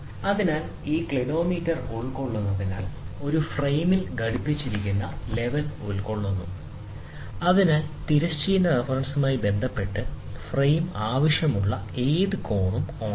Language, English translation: Malayalam, So, it so this Clinometer comprises, it comprises a level mounted on a frame, so that the frame may be turned on any desired angle with respect to a horizontal reference